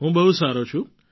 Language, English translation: Gujarati, I am very fine